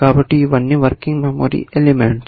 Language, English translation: Telugu, So, all these are working memory elements